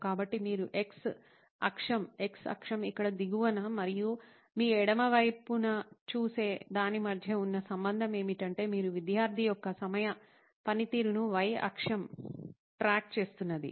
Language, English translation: Telugu, So that’s the relationship between what you see on the x axis, x axis here at the bottom and at your left is the y axis where you are tracking on time performance of the student